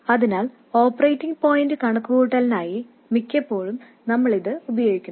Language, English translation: Malayalam, So for operating point calculation, most often we just use this